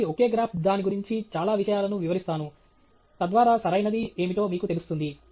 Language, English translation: Telugu, So, the same graph with many things right about it, so that you get a sense of what’s correct